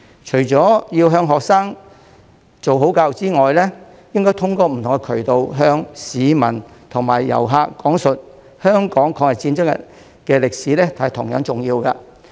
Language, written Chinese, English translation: Cantonese, 除了要向學生做好教育之外，通過不同渠道向市民和遊客講述香港抗日戰爭的歷史同樣重要。, While we need to provide good education for students it is equally important to tell the public and tourists through different channels the history of the War of Resistance in Hong Kong